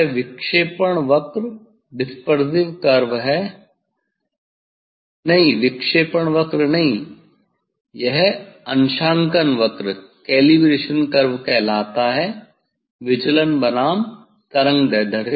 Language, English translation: Hindi, this is the; this is the dispersive not dispersive curve, this called the calibration curve, deviation verses wavelength